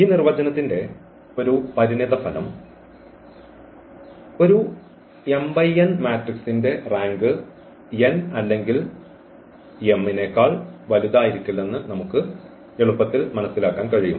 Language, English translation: Malayalam, Just a consequence of this definition we can easily make it out that the rank of an m cross n matrix cannot be greater than n or m